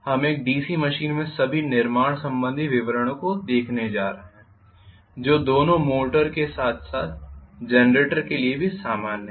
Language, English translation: Hindi, We are going to look at first of all the constructional details in a DC machine which is common to both the motor as well as generators